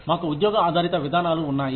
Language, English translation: Telugu, We have job based approaches